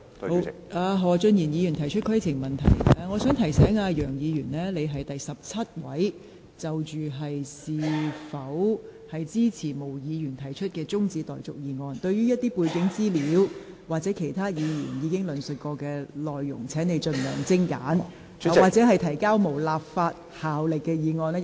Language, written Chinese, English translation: Cantonese, 楊議員，我想提醒你，你是第十七位議員就是否支持毛議員提出的辯論中止待續議案發言，請你不要詳細論述背景資料、其他議員已經提述的內容，以及談論當局提交無立法效力議案的安排。, Mr YEUNG I wish to remind you that you are the 17 Member to speak on the question of whether Ms Claudia MOs adjournment motion should be supported . Please do not dwell on the background information those points that other Members have already discussed and the Administrations arrangements for moving motions with no legislative effect